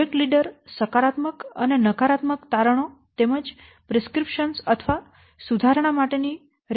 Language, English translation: Gujarati, The project leader, he will summarize the positive and the negative findings as well as the prescriptions or the recommendations for improvement